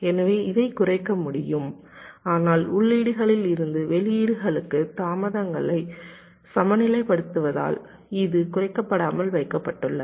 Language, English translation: Tamil, so this can be minimized, but this has been kept non means non minimized because of balancing the delays from inputs to outputs